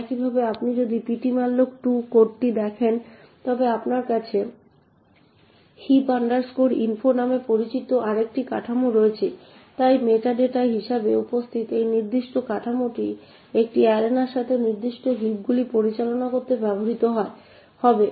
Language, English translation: Bengali, Similarly, if you look at the ptmalloc2 code you also have another structure known as heap info, so this particular structure present as the meta data would be used to manage specific heaps with an arena